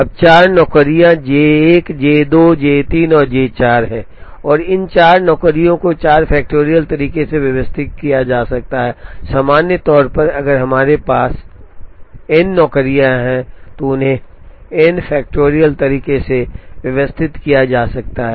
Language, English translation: Hindi, Now, there are 4 jobs J 1 J 2 J 3 and J 4 and these 4 jobs can be arranged in 4 factorial ways, in general, if we have n jobs, they can be arranged in n factorial ways